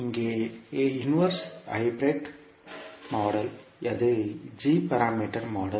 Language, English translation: Tamil, Here the inverse hybrid model that is the g parameter model